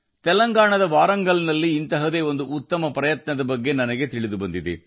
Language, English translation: Kannada, I have come to know of a brilliant effort from Warangal in Telangana